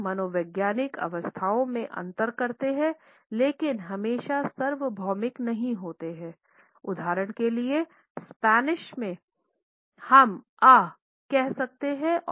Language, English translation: Hindi, They differentiate amongst psychological states in but are not always universal, for example in Spanish we can say ay and in English we can say ouch for the same phenomena